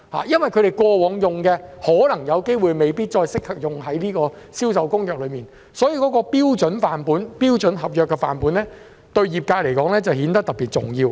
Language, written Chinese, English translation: Cantonese, 因為他們過往使用的範本可能未必再適用於《銷售公約》上，所以，標準的合約範本對業界來說顯得特別重要。, Since the samples used in the past may not be applicable to CISG sample contracts become especially important to the industry